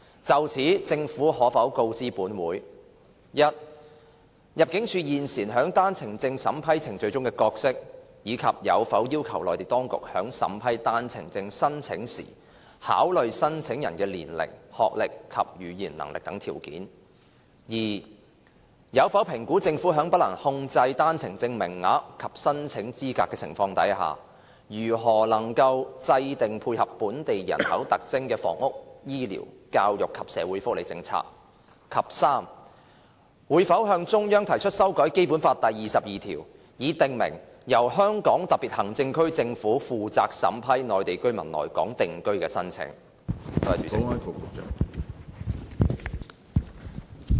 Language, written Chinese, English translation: Cantonese, 就此，政府可否告知本會：一入境事務處現時在單程證審批程序中有何角色，以及有否要求內地當局在審批單程證申請時考慮申請人的年齡、學歷及語言能力等條件；二有否評估政府在不能控制單程證名額及申請資格的情況下，如何能夠制訂配合本港人口特徵的房屋、醫療、教育及社會福利政策；及三會否向中央提出修改《基本法》第二十二條，以訂明由香港特別行政區政府負責審批內地居民來港定居的申請？, In this connection will the Government inform this Council 1 of the present role of the Immigration Department in the vetting and approval process for OWPs and whether it has requested the Mainland authorities when vetting and approving OWP applications to consider the applicants qualifications such as their ages academic qualifications and language proficiency; 2 whether it has assessed given the situation that the Government has no control over the quota and eligibility for OWPs how it can formulate housing healthcare education and social welfare policies that dovetail with the demographic characteristics of Hong Kong; and 3 whether it will propose to the Central Authorities that Article 22 of the Basic Law be amended to stipulate that the Government of the Hong Kong Special Administrative Region is responsible for vetting and approving Mainland residents applications for settlement in Hong Kong?